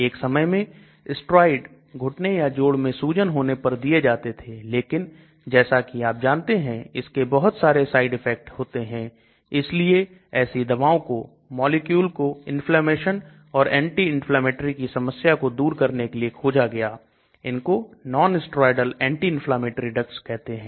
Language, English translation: Hindi, Once upon a time steroids were given if there are swelling in knees or joints, but steroids as you know has lot of side effects so drugs were discovered, small molecule drugs were discovered and to overcome this inflammation as anti inflammatory molecule so they are called nonsteroidal anti inflammatory drug NSAID